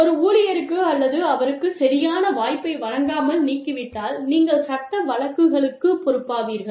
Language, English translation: Tamil, And, if you fire an employee, without giving her or him a proper chance, you could be liable for law suits